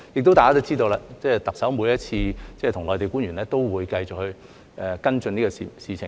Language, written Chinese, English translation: Cantonese, 大家亦知道，特首每次跟內地官員會面都會繼續跟進這方面事情。, As we all know the Chief Executive will continue to follow up the issues in this regard every time she meets with Mainland officials